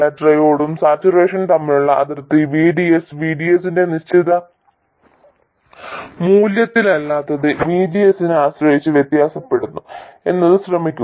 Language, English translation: Malayalam, Notice that the boundary between triode and saturation, that is not at some fixed value of VDS, VDS itself varies depending on VGS